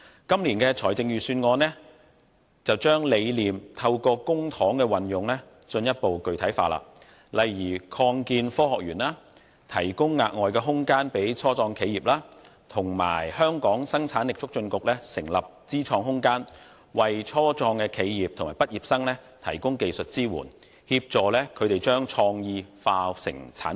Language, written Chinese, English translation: Cantonese, 今年的財政預算案則將理念透過公帑的運用進一步具體化，例如擴建科學園，提供額外空間予初創企業，以及香港生產力促進局成立知創空間，為初創企業和畢業生提供技術支援，協助他們將創意轉化成產品。, This years Budget has made the idea more specific through the use of public money eg . the Science Park will be expanded to provide additional space for the start - ups and the Hong Kong Productivity Council HKPC will set up Inno Space to provide technical support to help start - up entrepreneurs and graduates turn their innovative ideas into products